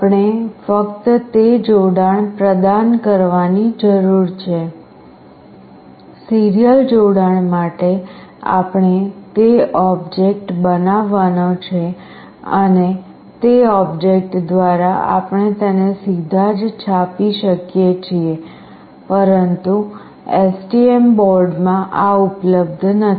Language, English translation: Gujarati, We just need to provide that connection; serial connection we have to create that object and through that object we can directly print it, but in STM board this is not available